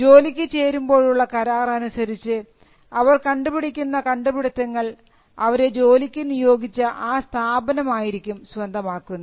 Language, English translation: Malayalam, The terms of their employment will say that the invention shall be owned by the organization which employees them